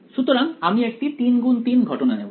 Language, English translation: Bengali, So, I will just take a 3 by 3 case